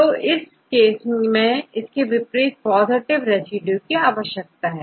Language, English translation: Hindi, So, in this case it requires the opposite side positive charge residues